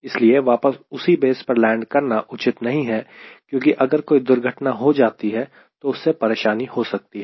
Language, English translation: Hindi, so it is not advisable that that airplane lands back to the same base, because if there is accident it may create a problem